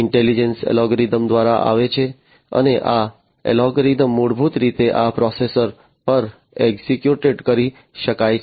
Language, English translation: Gujarati, So, intelligence come through algorithms, right and these algorithms can basically be executed at this processor